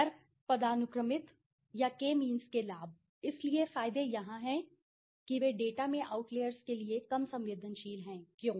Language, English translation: Hindi, Advantages of non hierarchical or k means, so the advantages are here they are less susceptible to outliers in the data, why